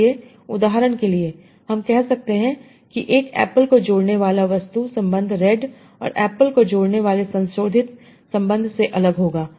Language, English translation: Hindi, So, for example, I can see that the object relation connecting, eat and apple, will be different than the modifier relation connecting red an apple